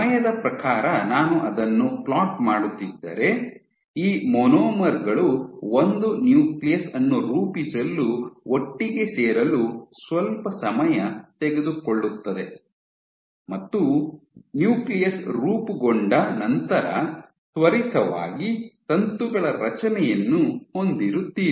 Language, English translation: Kannada, So, it takes quite some time for these monomers to come together form a nucleus and then once the nucleus is formed you have quick formation of a filament